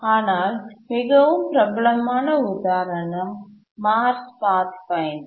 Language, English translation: Tamil, But possibly the most celebrated example is the Mars Pathfinder